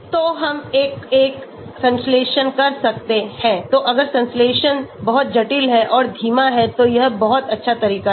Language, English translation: Hindi, So, we can do one by one synthesis so if the synthesis is very complex and slow this is a very good approach